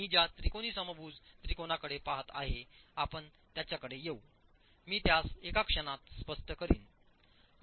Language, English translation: Marathi, We will come to that triangular, this equilateral triangle that I am looking at, I will explain that in a moment